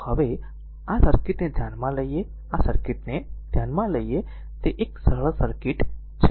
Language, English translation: Gujarati, So now we consider this circuit, right you consider ah you consider this circuit, it is a simple circuit, right